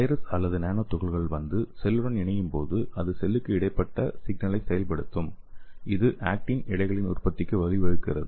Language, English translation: Tamil, So when the virus or your nanoparticles come and attach to the cell, so it will activate the intracellular signaling, which leads to the production of actin filaments